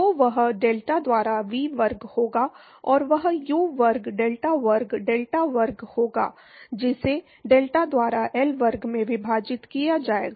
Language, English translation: Hindi, So, that will be V square by delta and that will be U square delta square delta square divided by delta into L square